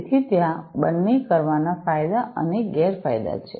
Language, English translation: Gujarati, So, there are advantages and disadvantages of doing both